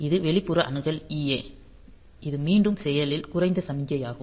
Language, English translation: Tamil, Then this external access EA; so, this is again an active low signal